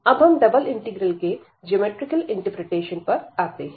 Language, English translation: Hindi, And coming to the geometrical interpretation for these double integrals